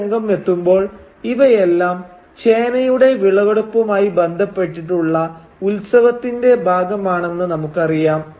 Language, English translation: Malayalam, And by the time we reach this scene we know that these are all part of the festivities that are associated with the harvesting of the yam